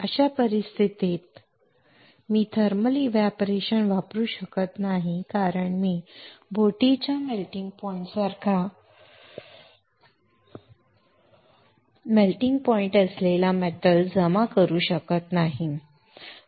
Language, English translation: Marathi, In that case Icannot use thermal evaporater because I cannot deposit the metal which has a melting point similar to the melting point of boat